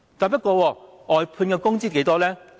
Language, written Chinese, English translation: Cantonese, 不過，外判員工的工資是多少呢？, How much is that of outsourced workers?